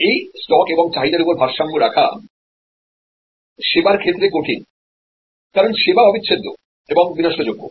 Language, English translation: Bengali, This stock and flow counter balancing is difficult in case of service, because service is inseparable, service is perishable